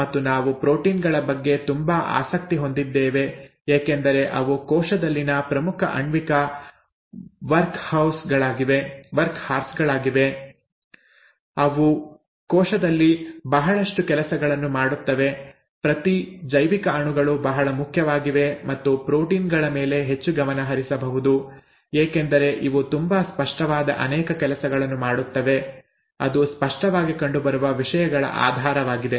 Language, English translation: Kannada, And we are so interested in proteins because they are important molecular workhorses in the cell, they do lot of things in the cell, each biomolecule is very important and there , there could be more of a focus on proteins because it does so many things that are very apparent, that the basis of things that are very apparent, okay